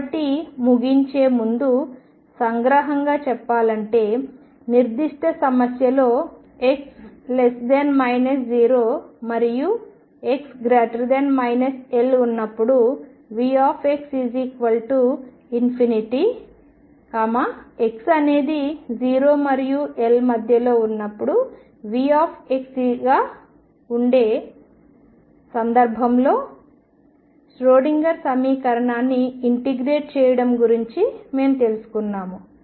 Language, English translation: Telugu, So, to conclude we have learnt about integrating the Schrodinger equation for very specific problem where V x is equal to infinity for x less than equal to 0 and x greater than equal to L and is equal to V x for x in between